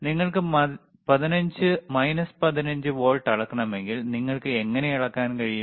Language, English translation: Malayalam, If you want to measure minus 15 volts, how you can measure this is plus 15 volts